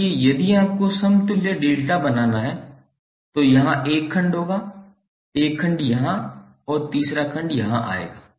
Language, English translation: Hindi, So if you have to create equivalent delta there will be onE1 segment here, onE1 segment here and third segment would come here